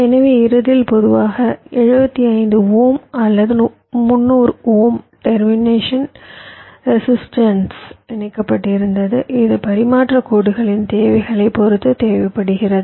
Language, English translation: Tamil, so at the end there was typically a seventy five ohm or three hundred ohm termination resistance which was connected